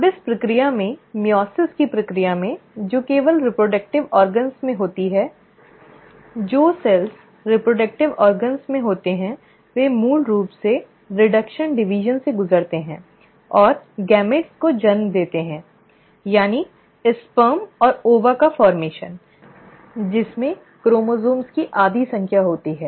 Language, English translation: Hindi, Now in this process, in the process of meiosis which happens only in the reproductive organs, the cells which are in the reproductive organs basically undergo reduction division and the give rise to gametes, that is, the formation of sperm and the ova, which has half the number of chromosomes